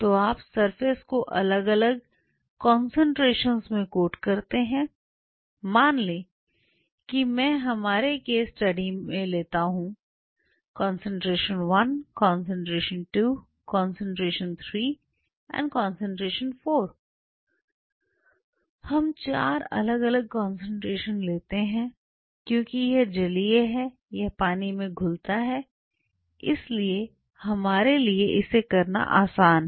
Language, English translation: Hindi, So, you code the subsurface see you code at different concentrations, suppose I take concentration 1, concentration 2, concentration 3, concentration 4, in our case say we take 4 different concentration since this is aqueous or dissolved in water it is easy for us to do it